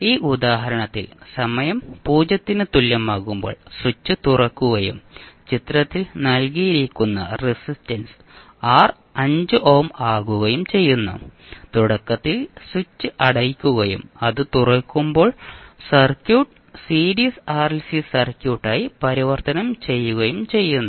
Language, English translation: Malayalam, In this example the switch is open at time t is equal to 0 and the resistance R which is given in the figure is 5 ohm, so what happens the switch is initially closed and when it is opened the circuit is converted into Series RLC Circuit